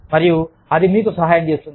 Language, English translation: Telugu, And, this will help you